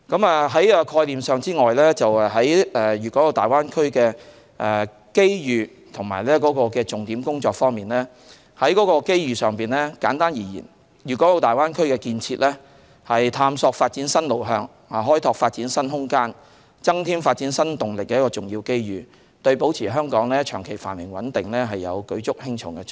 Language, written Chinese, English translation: Cantonese, 除概念外，在粵港澳大灣區的機遇和重點工作方面，簡單而言，粵港澳大灣區建設是探索發展新路向、開拓發展新空間、增添發展新動力的重要機遇，對保持香港長期繁榮穩定有舉足輕重的作用。, Following my explanation of the concepts I will mention the opportunities and key areas of work of the Greater Bay Area . In brief the development of the Greater Bay Area represents significant opportunities to explore new direction of development open up new room of development and provide new impetus to development and is pivotal to the maintenance of Hong Kongs prosperity and stability in the long run